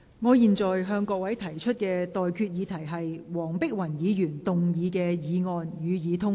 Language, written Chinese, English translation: Cantonese, 我現在向各位提出的待決議題是：黃碧雲議員動議的議案，予以通過。, I now put the question to you and that is That the motion moved by Dr Helena WONG be passed